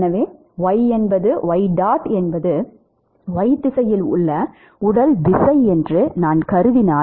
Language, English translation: Tamil, So, if I assume y dot is the body force in y direction